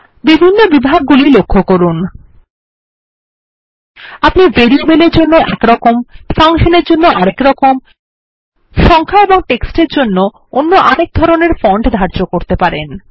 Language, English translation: Bengali, Notice the various categories here: We can set one type of font for variables, another type for functions, another for numbers and text